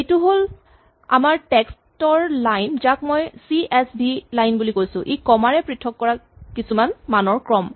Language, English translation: Assamese, Suppose this is our line of text which I will call CSV line it is a sequence of values separated by commas notice it is a string